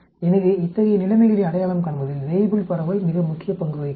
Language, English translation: Tamil, So, the Weibull distribution plays a very important role in identifying such situations